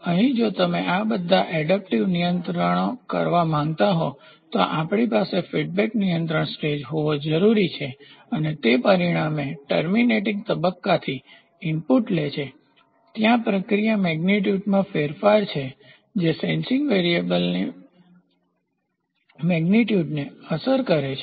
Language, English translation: Gujarati, So, here if you want to do all these adaptive controls, we need to have a feedback control stage and that is takes an input from the terminating stage consequently, there is a change in process parameter that affects the magnitude of the sensing variable